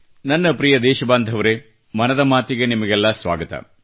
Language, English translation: Kannada, My dear countrymen, welcome to 'Mann Ki Baat'